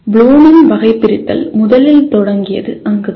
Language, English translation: Tamil, So that is where the Bloom’s taxonomy originally started